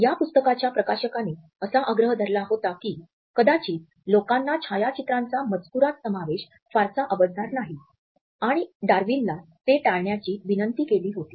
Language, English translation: Marathi, The publication house as well as the publishers had insisted that people may not receive the inclusion of photographs in the text and had requested Darwin to avoid it